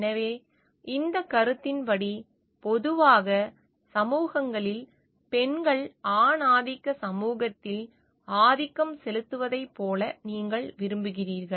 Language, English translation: Tamil, So, according to this concept, you like women generally have in societies have been dominated in a patriarchal society